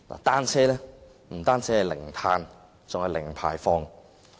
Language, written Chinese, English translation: Cantonese, 單車不僅是零碳，還是零排放。, Bicycles produce not only zero carbon but also zero emission